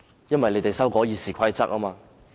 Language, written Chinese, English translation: Cantonese, 因為有議員要修訂《議事規則》。, Because some Members wanted to amend the Rules of Procedure RoP